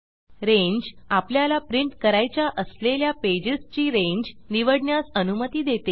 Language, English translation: Marathi, Range allows us to select the range of pages that we want to print